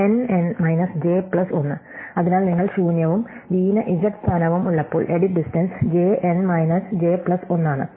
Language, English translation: Malayalam, N n minus j plus 1, so the edit distance when u is empty and v has z position j is n minus j plus 1